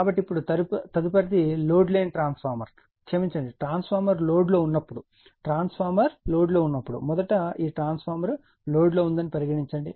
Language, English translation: Telugu, So, now next is a transformer on no load, right when transformer sorry transformer on load when transformer is on load, so firstthis transformer on load